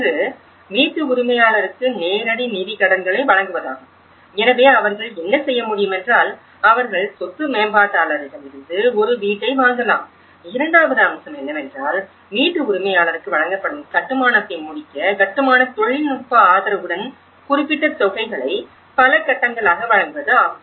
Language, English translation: Tamil, One is give them the cash credits, direct financial credits to the homeowner, so what they can do is; they can purchase a new house from the property developer wherein the second aspect, we have the provide technical support plus stage by stage you give some certain payments on construction; to completion of the construction that is delivered to the homeowner